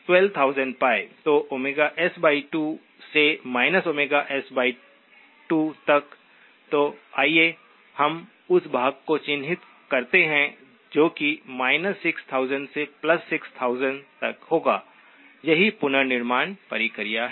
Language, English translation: Hindi, So Omega S by 2 to minus Omega S by 2, so let us just mark that portion, that will be from minus 6000 to plus 6000, that is the reconstruction process